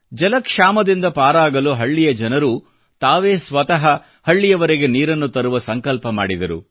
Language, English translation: Kannada, To tide over an acute water crisis, villagers took it upon themselves to ensure that water reached their village